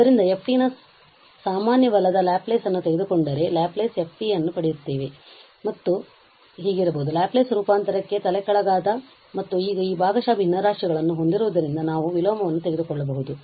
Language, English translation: Kannada, So, taking now common Laplace of f t we get Laplace f t is equal to this, which again can be in inverted for the Laplace transform and having these partial fractions now we can take the inverse